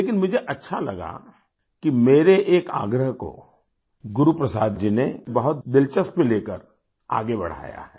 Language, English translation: Hindi, But I felt nice that Guru Prasad ji carried forward one of my requests with interest